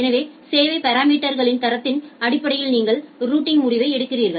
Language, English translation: Tamil, So, you make the routing decision based on the quality of service parameters